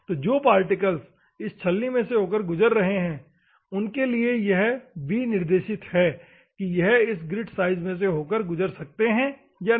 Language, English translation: Hindi, So, particles which are passing through it is specified that is passed through this particular grit